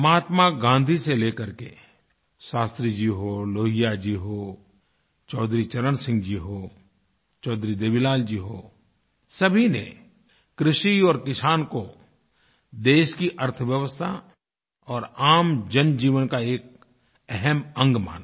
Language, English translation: Hindi, From Mahatma Gandhi to Shastri ji, Lohia ji, Chaudhari Charan Singh ji, Chaudhari Devi Lal ji they all recognized agriculture and the farmer as vital aspects of the nation's economy and also for the common man's life